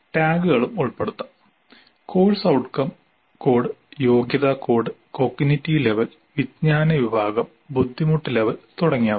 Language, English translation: Malayalam, We can also include tags, course outcome code, competency code, cognitive level, knowledge category, difficulty level, etc